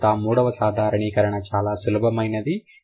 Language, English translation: Telugu, Then the third one is a simpler one